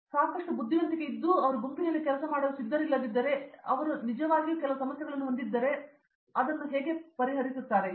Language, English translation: Kannada, If he have enough intelligence and all, if he is a not willing to work in a group because if he has some issues indeed, he should understand how other peoples feel and all